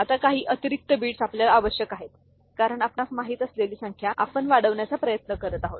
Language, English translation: Marathi, Now, some additional bits are required because the number you know the count we are trying to increase